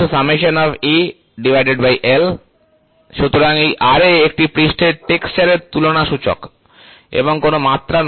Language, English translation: Bengali, So, this Ra is an index of surface texture comparison and not a dimension